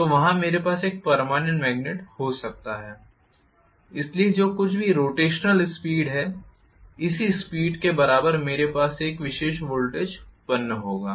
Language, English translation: Hindi, So, there I can have a permanent magnet, so whatever is the speed of rotation correspondingly I will have a particular voltage generated